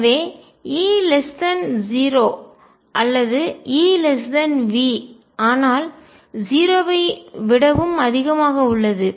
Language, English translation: Tamil, So, E is less than 0 or E is less than V, but is also greater than 0